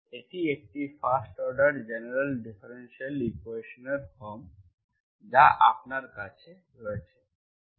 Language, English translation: Bengali, This is the form you have general differential equation of first order